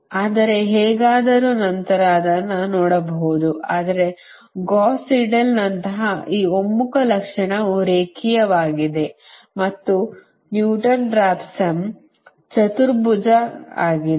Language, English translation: Kannada, but this convergence characteristic, like gauss seidel, is linear and newton raphson is quadratic